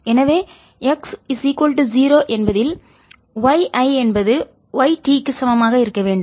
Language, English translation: Tamil, so at x equal to zero, i should have y, i is equal to y, t